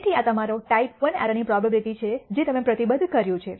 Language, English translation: Gujarati, So, this is your type I error probability that you have committed